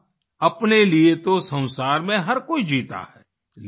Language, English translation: Hindi, That is, everyone in this world lives for himself